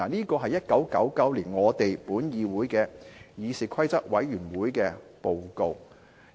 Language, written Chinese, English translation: Cantonese, "這是1999年本議會的議事規則委員會的報告。, This is the report of the Committee on Rules of Procedure of this Council in 1999